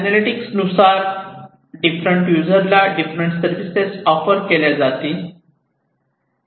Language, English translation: Marathi, And based on these analytics different services are going to be offered to the different users